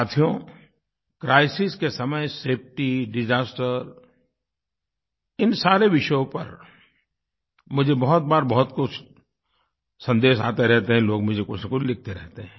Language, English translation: Hindi, Friends, safety in the times of crises, disasters are topics on which many messages keep coming in people keep writing to me